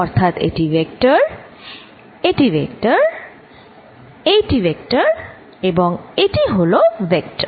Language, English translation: Bengali, So, vector this is vector, this is vector, this is vector, this is vector